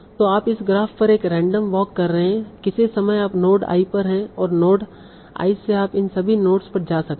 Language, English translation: Hindi, So when you are doing your random walk, once you come to node I, you cannot go back